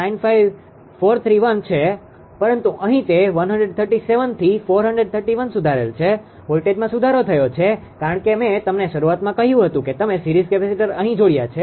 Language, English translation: Gujarati, 95431, but here it is improved at is 137 that is 431 the voltage are improved because I told you at the beginning that series capacitors you have connected here